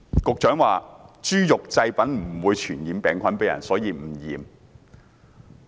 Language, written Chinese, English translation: Cantonese, 局長說豬肉製品不會傳染病菌給人類，所以無須檢驗。, The Secretary says that food inspections are not necessary as pork products will not spread the virus to human beings